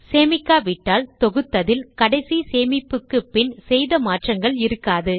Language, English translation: Tamil, If you dont save it, whatever changes you made since the last save will not be included in the compiled form